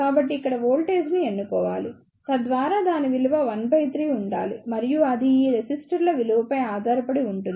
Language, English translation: Telugu, So, why should choose the voltage over here in such a way so that its value should be one third and it will depend upon the value of these resistors